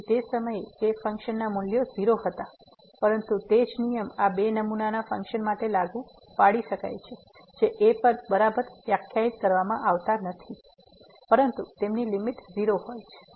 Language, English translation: Gujarati, So, those at that point the function values was , but the same rule one can apply if for sample function these two functions are not defined exactly at , but their limits are